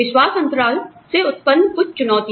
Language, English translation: Hindi, Some challenges, posed by the trust gap are, one